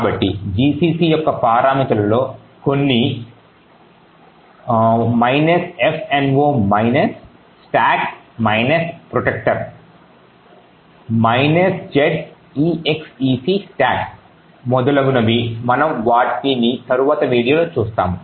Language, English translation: Telugu, So, some of these parameters for gcc like minus F no stack protector, minus Z X 6 stack and so on we will be actually seeing in a later video